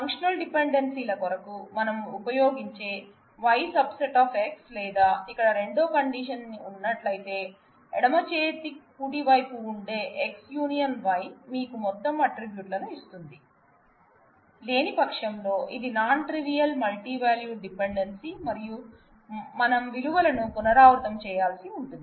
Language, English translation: Telugu, If either Yis a subset of X which is the notion we used for functional dependencies or there is a second condition here, that the union of the X and Y that left hand right hand side gives you the whole set of attributes, otherwise it is a non trivial multivalued dependency and we have to repeat the values